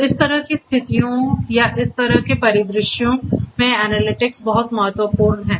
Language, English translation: Hindi, So, analytics is very important in this kind of situations or this kind of scenarios